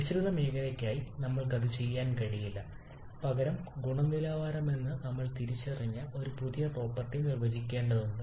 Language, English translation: Malayalam, We cannot do that for the mixture zone rather we have to define a new property which we have identified as the quality